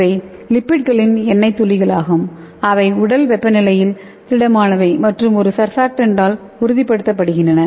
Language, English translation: Tamil, So these are oily droplets of lipids which are solid at body temperature and stabilized by surfactant